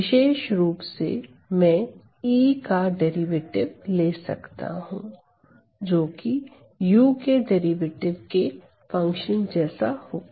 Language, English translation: Hindi, Specifically, I can take the derivative of E, which will be as a function of the derivative of u